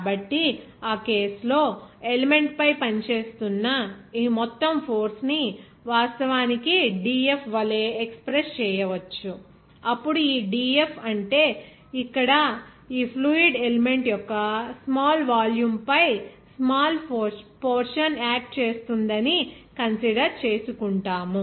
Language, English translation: Telugu, So, in that case, we can express this total force that is acting on the element will be actually as dF, then this dF means here a a small amount of portion will be acting over this small volume of fluid element that we consider here